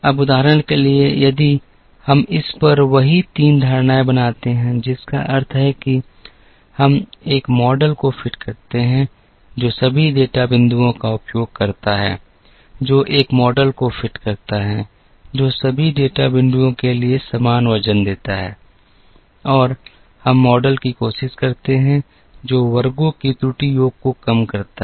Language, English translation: Hindi, Now, for example if we make the same 3 assumptions on this, which means we fit a model, which uses all the data points, which fit a model, which gives same weight to all the data points and we try and fit model, which minimizes the error sum of squares